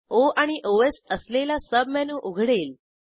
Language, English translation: Marathi, A Sub menu with O and Os opens